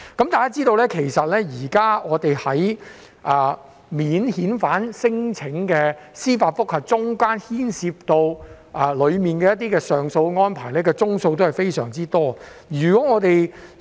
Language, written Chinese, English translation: Cantonese, 大家也知道，現時免遣返聲請的司法覆核中，牽涉上訴安排的宗數非常多。, As we all know there is a huge number of applications for leave for judicial review JR and appeal cases in relation to non - refoulement claims at present